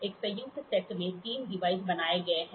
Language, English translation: Hindi, A combined set has three devices built into it